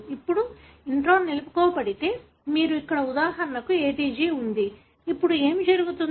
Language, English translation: Telugu, Now, if the intron is retained, then you have for example ATG here, now what would happen